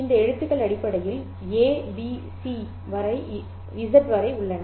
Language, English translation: Tamil, These letters are essentially those symbols A, B, C, up to Z